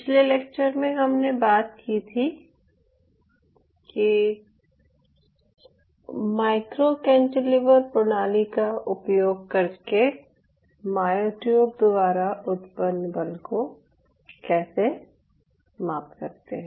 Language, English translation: Hindi, so for last classes we have been talking about how we can measure using a micro cantilever system, how we can measure the force generated by the myotubes